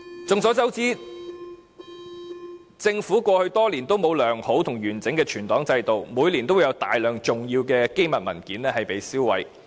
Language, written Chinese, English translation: Cantonese, 眾所周知，政府過去多年都沒有良好和完整的存檔制度，每年都會有大量重要機密文件被銷毀。, We all know that over the years the Government lacked a good and integral archives system and lots of confidential documents have been destroyed every year